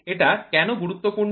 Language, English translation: Bengali, This why is it so important